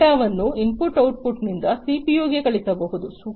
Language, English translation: Kannada, The data could also be sent from the input output to the CPU